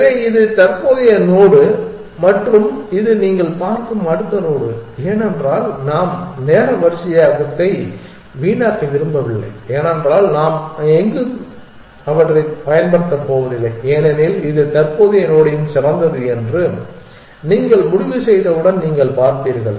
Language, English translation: Tamil, So, that is current and this is next you see because we do not want to waste time sorting because we are not going to use those anywhere later you see once you decided this is the best of the of this current